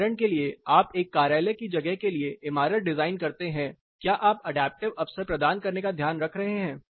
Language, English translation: Hindi, For example, you design a building to have an office space whether you are taking care of providing an adaptive opportunity